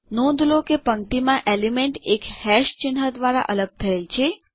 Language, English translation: Gujarati, Notice that the elements in a row are separated by one hash symbol